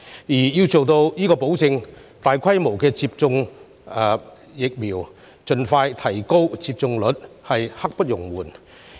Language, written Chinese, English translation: Cantonese, 為了達成這個目標，大規模接種疫苗、盡快提升疫苗接種率實在刻不容緩。, To achieve this goal there is a pressing need to achieve large scale vaccination and increase the vaccination rates as soon as possible